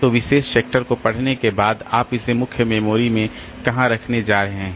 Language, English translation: Hindi, So, after reading the particular sector, where are you going to put it in the main memory